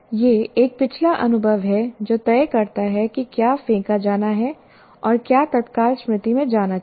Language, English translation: Hindi, So it is a past experience that decides what is to be thrown out and what should get into the immediate memory